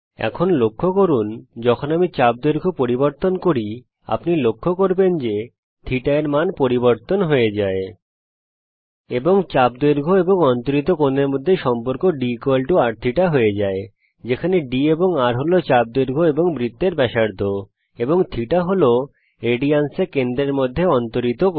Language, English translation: Bengali, Now notice that when i change the arc length you will notice that the value of θ changes, and the relation between arc length and the angle subtended goes as d=r.θ where d is the arc length, r is the radius of the circle and θ is the angle subtended at the center in radians